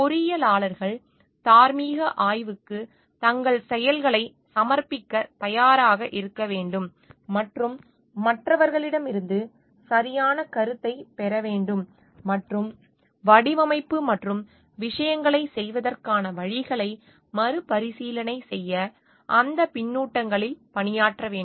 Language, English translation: Tamil, Engineer should be ready to submit their actions to moral scrutiny and take a proper feedback from others and work on those feedbacks to have a relook into the design and ways of doing things